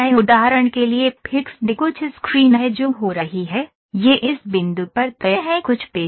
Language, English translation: Hindi, fixed for instance there is some screen that is happening, it is fixed at this point some screw is there